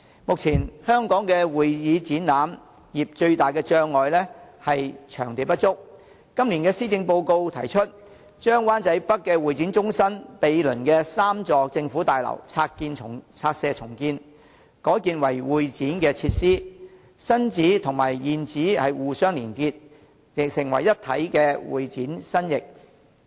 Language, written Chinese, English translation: Cantonese, 目前，香港發展會展業最大的障礙是場地不足，今年施政報告提出，將灣仔北會展中心毗鄰的3座政府大樓拆卸重建，改建為會展設施，新址與現址互相連結，成為一體的會展新翼。, Nowadays the biggest obstacle for developing the convention and exhibition industry in Hong Kong is the lack of space . The Policy Address this year proposes to demolish and redevelop the three government buildings next to the Hong Kong Convention and Exhibition Centre HKCEC in Wan Chai North into a new wing of convention and exhibition facilities that can be connected to and integrated with the existing HKCEC